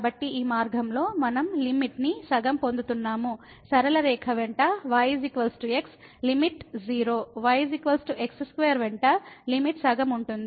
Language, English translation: Telugu, So, along this path we are getting the limit half; along the straight line, is equal to , the limit is 0; along is equal to square, the limit is half